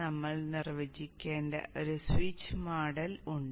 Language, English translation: Malayalam, There is a switch model which we need to define